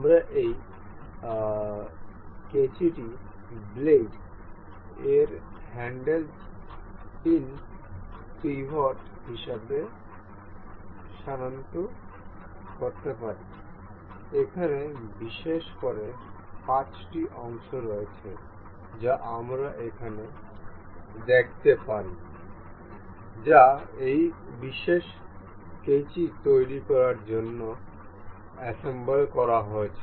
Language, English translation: Bengali, We can identify this scissor as blades, its handle, the pin, the pivot we say and so, the the there are particular there are particularly 5 parts we can see over here, that have been assembled to make this particular scissor